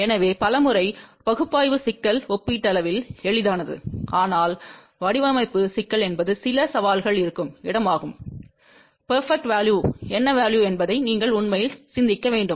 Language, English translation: Tamil, So, many a times analysis problem is relatively simple , but design problem is where there at certain challenges and you have to really think what value is the perfect value